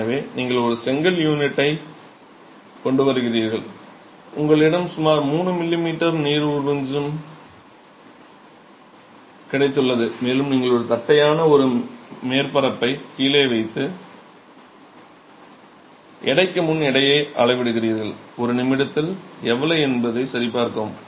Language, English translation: Tamil, So, you bring a brick unit, you have a trough in which you have got about 3 m m of water and you are placing it flatwise one surface down and you are measuring the weight before the weight after to check in one minute how much of water is this brick unit capable of absorbing